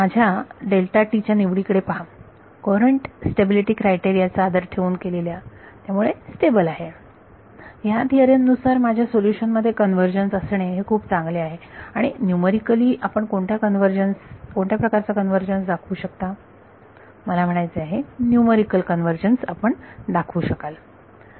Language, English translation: Marathi, Look my choice of delta t respect the courant stability criteria therefore, it is stable, by this theorem it is good enough for me to have a convergence in my solution and what kind of convergence will you be able to show numerically I mean you will be able to show numerical convergence